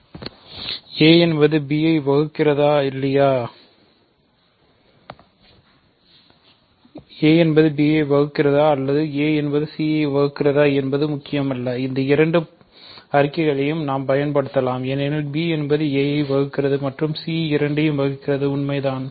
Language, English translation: Tamil, So, no matter here whether a divides b or a divides c, we can apply both these statements because b divides a and c divides a both are true